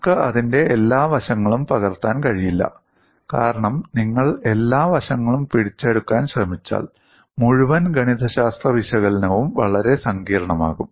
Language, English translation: Malayalam, We will not be able to capture all aspects of it, because if you try it to capture all aspects, then the whole mathematical analysis would become extremely complex